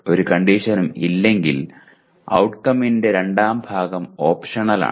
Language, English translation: Malayalam, If there is no condition, the second part of the outcome statement is optional